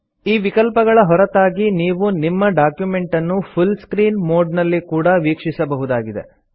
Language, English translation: Kannada, Apart from both these options, one can also view the document in full screen mode